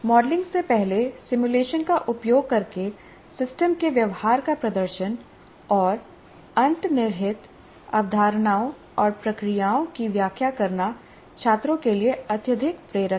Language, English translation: Hindi, Demonstration of behavior of the system using simulation before modeling and explaining the underlying concepts and procedures is greatly motivating the students